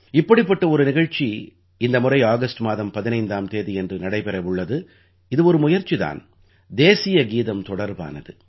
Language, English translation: Tamil, A similar event is about to take place on the 15th of August this time…this is an endeavour connected with the National Anthem